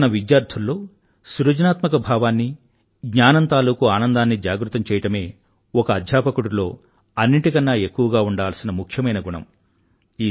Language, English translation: Telugu, " The most important quality of a teacher, is to awaken in his students, a sense of creativity and the joy of learning